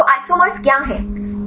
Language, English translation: Hindi, So, what is the isomers